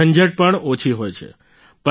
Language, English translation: Gujarati, The hassle is also less